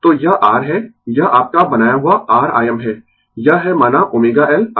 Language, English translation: Hindi, So, this is R this is your made R I m, this is say omega L I m